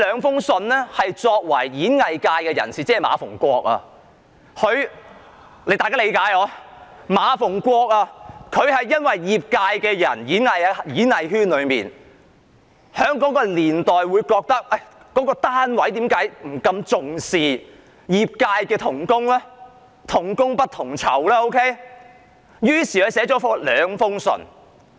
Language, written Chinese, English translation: Cantonese, 田漢作為演藝界的代表——即今天的馬逢國議員的角色，他覺得演藝界在那個年代不被重視，業界同工"同工不同酬"，於是便寫了兩封信。, As the representative of the performing arts sector―that is the role played by Mr MA Fung - kwok today―TIAN Han considered that people did not pay high regard to the performing arts sector at that time and members of the sector were paid unequally for equal work . He thus wrote the two letters